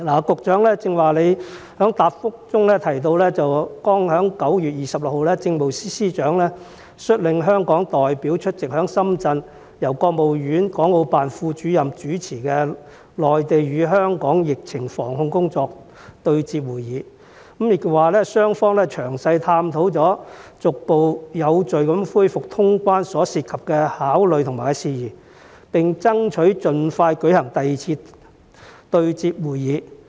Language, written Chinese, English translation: Cantonese, 局長剛才在答覆中提到，剛剛在9月26日，政務司司長率領香港代表出席在深圳由國務院港澳辦副主任主持的內地與香港疫情防控工作對接會議，雙方詳細探討了逐步有序恢復通關所涉及的考慮和事宜，並爭取盡快舉行第二次對接會議。, The Secretary mentioned earlier in her reply that just on 26 September 2021 the Chief Secretary for Administration led Hong Kong SAR representatives to attend a meeting on the anti - epidemic work of the Mainland and Hong Kong hosted in Shenzhen by the Deputy Director of the Hong Kong and Macao Affairs Office of the State Council where the two sides explored in detail matters and factors of consideration relating to the resumption of quarantine - free travel in a gradual and orderly manner and that the two sides would strive to hold a second meeting as soon as possible